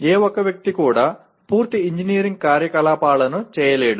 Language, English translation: Telugu, No single person will ever be able to perform a complete engineering activity